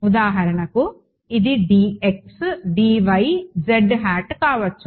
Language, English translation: Telugu, For example, this could be a d x, d y, z hat ok